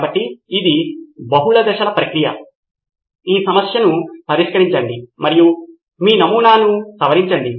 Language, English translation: Telugu, So this is a multi step process then solve that problem and modify that in your prototype